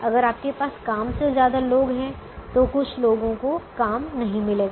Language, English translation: Hindi, if you have more people than jobs, then some people will not get jobs